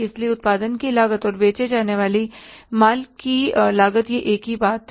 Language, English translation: Hindi, So, cost of production and cost of goods sold is the one is the same thing